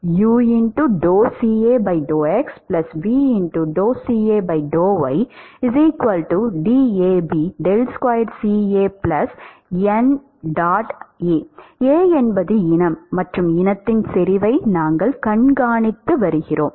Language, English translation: Tamil, If A is the species and we are monitoring the concentration of the species